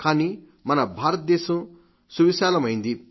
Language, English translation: Telugu, But India is such a vast country